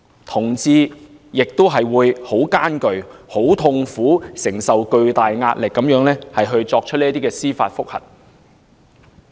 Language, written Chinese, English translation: Cantonese, 同志亦會心感痛苦，在承受巨大壓力下提出司法覆核。, Moreover homosexual people will feel deep pain in their heart when they lodge judicial reviews under tremendous pressure